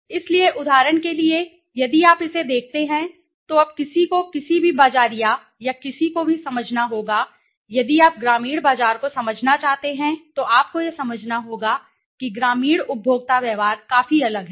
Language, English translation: Hindi, So, the other examples for example if you look at this, now one has to understand any marketer or anybody if you want to understand the rural market you have to understand that the rural consumer behavior is quite different right